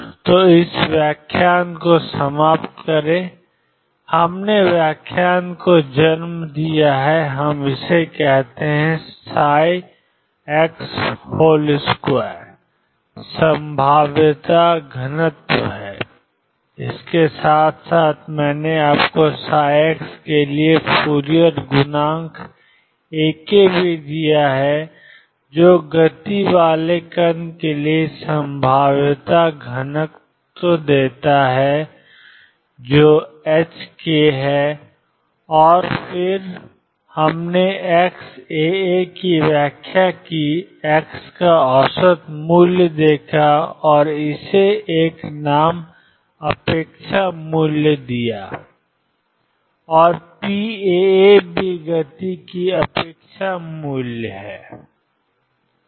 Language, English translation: Hindi, So, conclude this lecture, we have born interpretation at we says that mod psi x square is probability density along with it I also gave you the Fourier coefficient a k for psi x give probability density for particle having momentum x cross k and then we interpreted a x alpha alpha as the average value of x and gave it a name expectation value and p alpha alpha is also expectation value of momentum